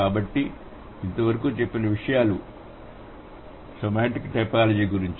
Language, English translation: Telugu, So, that's about semantic typology